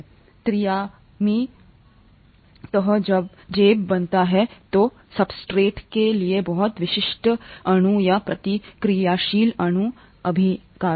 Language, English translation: Hindi, The three dimensional folding creates pockets that are very specific to the substrate molecule or the reacting molecule, reactant